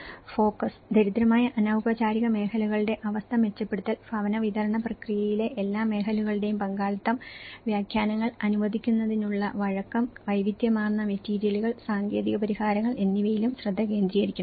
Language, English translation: Malayalam, Focus; the focus is also should be laid on improving conditions of the poor informal sectors, participation of all sectors of housing delivery process, flexible to allow for interpretations, variety of materials and technical solutions